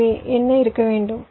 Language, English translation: Tamil, so what should be